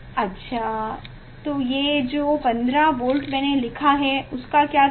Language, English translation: Hindi, what about the 15 volt I wrote